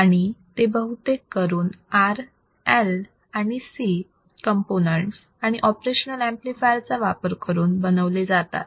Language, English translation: Marathi, , and are usually implemented R, L and C components and operation amplifiers